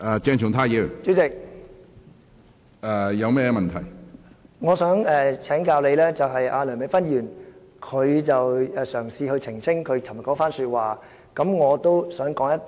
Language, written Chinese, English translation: Cantonese, 主席，我想請教你，梁美芬議員嘗試澄清她昨天的一番話，我也想說一句......, President I would like to seek your advice . As Dr Priscilla LEUNG has tried to elucidate what she said yesterday I would also like to say a few words